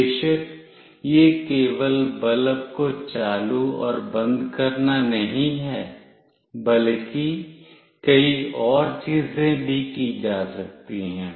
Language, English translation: Hindi, Of course, this is not only switching on and off bulb, there could be many more things that could be done